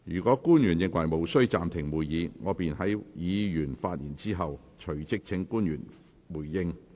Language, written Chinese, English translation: Cantonese, 若官員認為無需暫停會議，我便會在議員發言後，隨即請官員回應。, If public officers consider the suspension of meeting not necessary I will invite them to respond right after Members have spoken